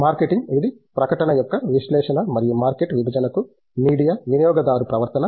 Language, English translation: Telugu, Marketing, it has been analysis of advertisement and media with market segmentation, consumer behavior